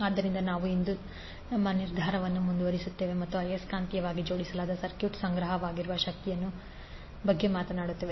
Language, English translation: Kannada, So we will continue our decision today and we will talk about energy stored in magnetically coupled circuits